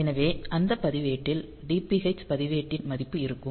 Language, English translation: Tamil, So, that register will get the value of the DPH register